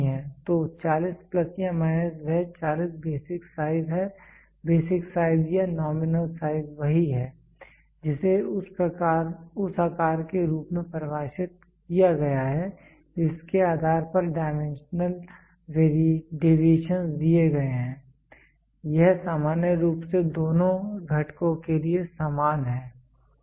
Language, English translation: Hindi, So, 40 plus or minus that 40 is the basic size basic size or nominal size is the same is defined as the size based on which the dimensional deviations are given, this is in general the same of for both components